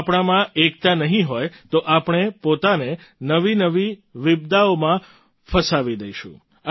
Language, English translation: Gujarati, If we don't have unity amongst ourselves, we will get entangled in ever new calamities"